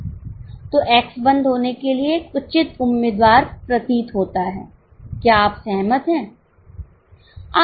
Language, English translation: Hindi, So, X appears to be a proper candidate for closure